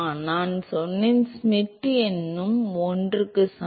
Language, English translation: Tamil, I said Schmidt number also is equal to 1